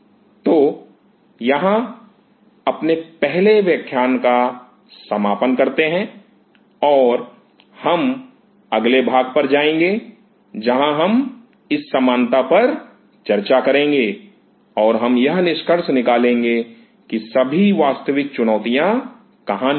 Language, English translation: Hindi, So, let us close in here for the first class and we will go to the next where we will be discussing this similarity and this similarity and we will conclude that where all the real challenges lie